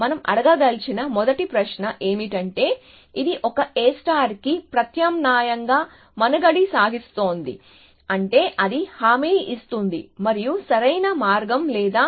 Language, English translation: Telugu, So, the first question we want to ask is does it survive the substitute for A star, which means does it guarantee and optimal path or not